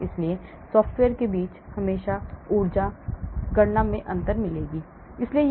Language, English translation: Hindi, so between software you will always get a difference in the energy calculation